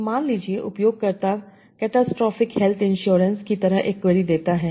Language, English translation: Hindi, So, suppose the user gives a query like catastrophic health insurance